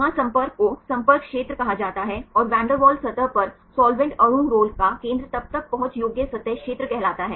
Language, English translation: Hindi, There contact is called the contact area and how far the center of the solvent molecule rolls on the van der Waals surface then that is called the accessible surface area